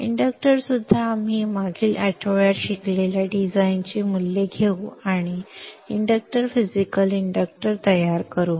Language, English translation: Marathi, Even the inductor, we will take the design values that we learned in the last week and build the physical inductor